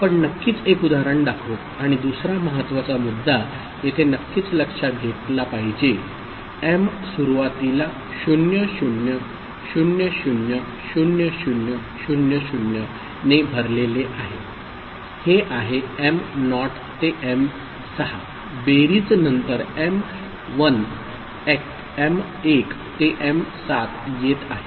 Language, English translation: Marathi, We shall see one example of course, right and the other important point to be noted here of course, the m initially is loaded with 00000000, is that the m naught to m6 these values after addition is coming here as m1 to m7